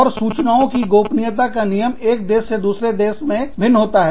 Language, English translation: Hindi, And, the data privacy laws, could vary from, country to country